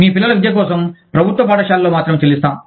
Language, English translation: Telugu, Will only pay, for your children's education, in state run schools